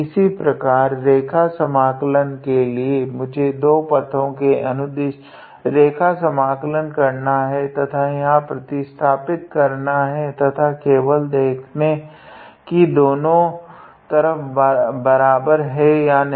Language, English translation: Hindi, Similarly, for the line integral I had to calculate the line integral along two different paths and substitute here and just see whether the two sides are equal or not